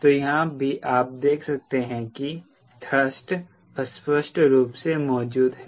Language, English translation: Hindi, so here also, you could see, thrust is implicitly present